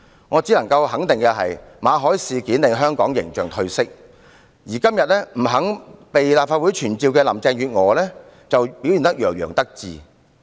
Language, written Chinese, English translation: Cantonese, 我只能肯定，馬凱事件令香港形象褪色，而今天不肯被立法會傳召的林鄭月娥卻洋洋得意。, I can only be certain that the Victor MALLET incident will tarnish the image of Hong Kong . Carrie LAM must be gloating about her refusal of being summoned by the Legislative Council today